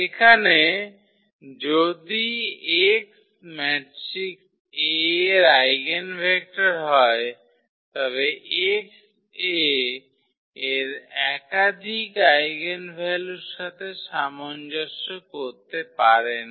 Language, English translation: Bengali, Here if x is the eigenvector of the matrix A, then x cannot correspond to more than one eigenvalue of A